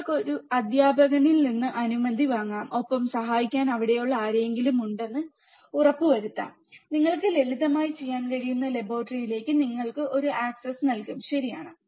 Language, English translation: Malayalam, You can take permission from a teacher, and I am sure that anyone who is there to help student will give you an access to the laboratory where you can do the simple experiments, right